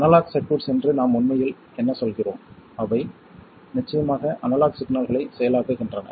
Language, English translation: Tamil, And analog circuits are circuits that process analog signals